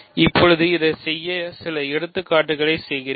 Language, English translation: Tamil, So, now let me do some examples to work with this